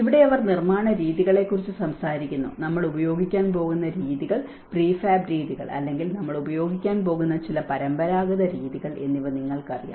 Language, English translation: Malayalam, And here they talk about the construction methods; you know what kind of methods, prefab methods are we going to use, or some traditional methods we are going to use